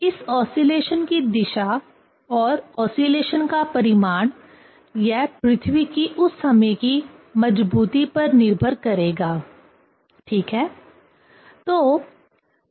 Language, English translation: Hindi, So, the direction of these oscillation and magnitude of the oscillation, it will depend on the strength, at that moment, of the earth ok